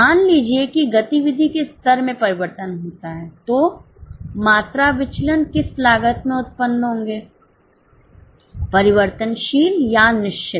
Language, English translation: Hindi, Suppose the level of activity changes, the volume variance will be generated in which of the cost, variable or fixed